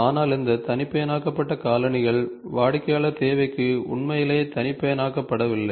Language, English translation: Tamil, But these customized shoes are also not truly customized to the customer requirement